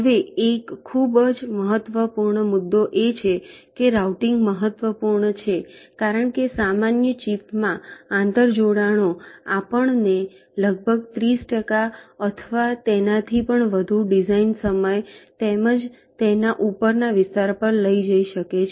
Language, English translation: Gujarati, ok, now, one very important issue is that routing is important because inter connections in a typical chip can take us to an overrate of almost thirty percent, or even more of the design time as well as the area over it